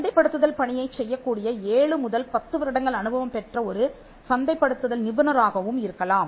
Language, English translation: Tamil, They could be a marketing professional with seven to ten year experience who do the marketing site